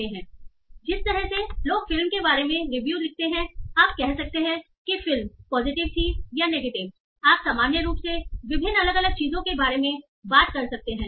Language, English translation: Hindi, So the way people write reviews about the movie, you can say whether the movie was the reviews are positive or negative